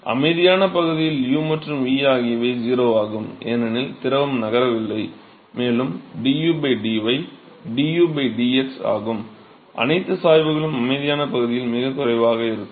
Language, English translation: Tamil, In the quiescent region, u and v are 0, because the fluid is not moving and also du by dy du by dx they are also 0 all the gradients are negligible in the quiescent region